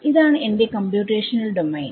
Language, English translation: Malayalam, This is my computational domain